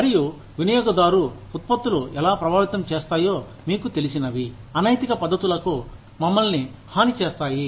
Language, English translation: Telugu, And, how consumer products can affect, what you know, can make us vulnerable, to unethical practices